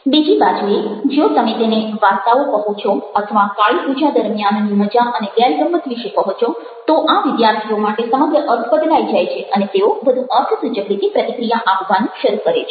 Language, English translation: Gujarati, on the other hand, if you are telling them stories, and even making them with a fun and the frolic of kalipuja, then the entire meaning changes for this students and they start interacting more significantly